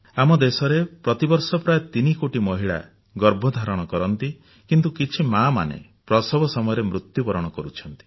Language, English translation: Odia, In our country, close to 3 crore women become pregnant every year but some of these mothers die during childbirth